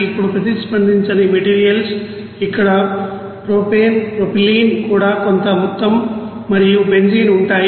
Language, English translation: Telugu, Now unreacted you know materials are here propane and propylene also some amount of benzene will be there